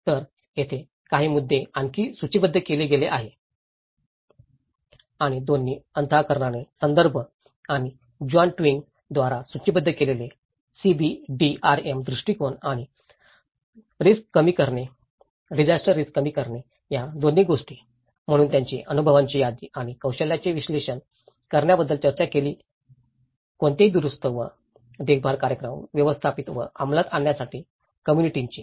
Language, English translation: Marathi, So, here one is the few points which has been listed and both the references of mind the gap and as well as the CBDRM approach which was listed by John Twigg, and disaster risk reduction, so they talked about listing the experiences and analysing the skills of the community to manage and implement any repair and maintenance program